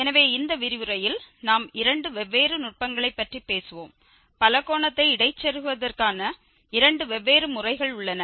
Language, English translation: Tamil, So, in this lecture we will be talking about two different techniques two different methods for getting interpolating polynomial